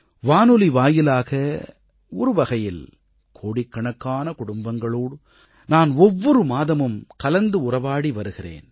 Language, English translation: Tamil, Through radio I connect every month with millions of families